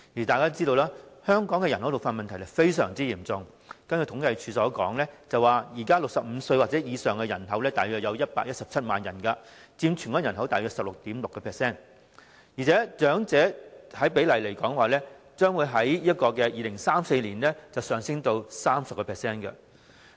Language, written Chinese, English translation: Cantonese, 大家都知道，香港人口老化問題非常嚴重，根據政府統計處的資料，現時65歲或以上的人口約為117萬人，佔全港人口大約 16.6%， 而且長者的百分比將在2034年上升至 30%。, As we all know the problem of population ageing in Hong Kong is very serious . According to the information of the Census and Statistics Department at present the number of people aged 65 or above is about 1.17 million accounting for approximately 16.6 % of the Hong Kong population . Moreover the percentage of the elderly will rise to 30 % in 2034